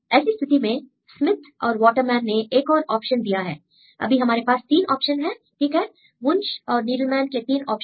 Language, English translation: Hindi, So, in this case, Smith and Waterman, they proposed another option; currently there are 3 options right Wunsch Needleman propose 3 options